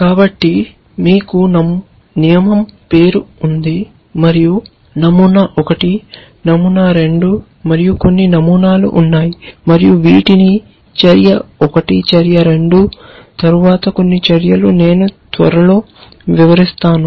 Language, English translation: Telugu, So, you have a rule name and you have pattern 1 and pattern 2 and so on, some number of patterns and I will shortly describe what these are followed by action 1, action 2 some number of action essentially